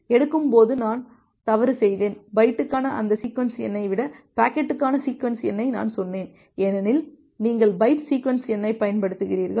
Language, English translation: Tamil, I made a mistake while taking, I have told that sequence number for packet rather than that sequence number for the byte because you are using byte sequence number